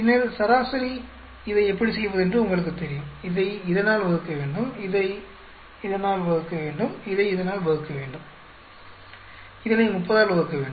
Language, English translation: Tamil, Then mean you know how to do this divided by this, this divided by this, this divided by this this, divided by 30